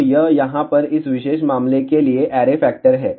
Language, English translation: Hindi, So, this is the array factor for this particular case over here